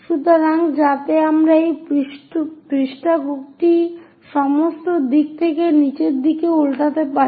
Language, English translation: Bengali, So, that I can flip this page all the way downward direction